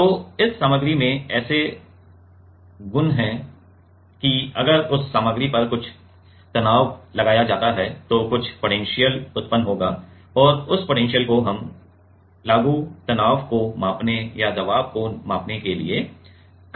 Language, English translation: Hindi, So, this material has such property that, if it is if some stress is applied on that material then some potential will be generated and that potential we can measure to measure the applied stress or to measure the pressure